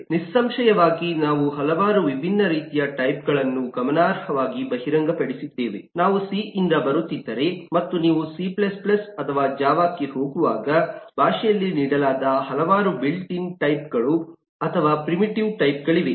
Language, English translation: Kannada, we have been exposed with eh significantly if we are coming from c and as you move on to c plus plus, or in java, there are a number of built in types or primitives types which are given in the language